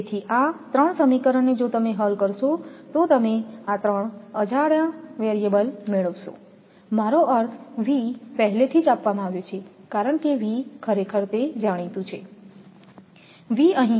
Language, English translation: Gujarati, So, from this from this three equations and three unknown if you solve you it you will get this thing I mean V is already given because V actually it is known V is given, V is actually 53